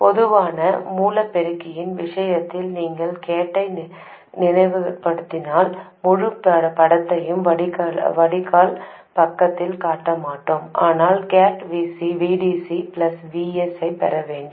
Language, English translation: Tamil, In case of the common source amplifier if you recall, the gate, I won't show the complete picture on the drain side, but the gate we had to get VDC plus VS